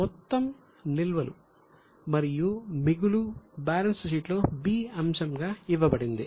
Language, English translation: Telugu, The total of reserves and surplus is given as item B in the balance sheet